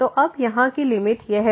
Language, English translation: Hindi, So, this will be the limit now here